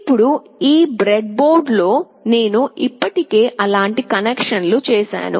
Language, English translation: Telugu, Now on this breadboard, I have already made such connections